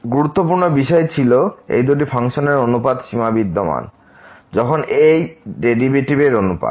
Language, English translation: Bengali, The important point was that this limit of the ratio of these two functions exist when the ratio of this derivative of the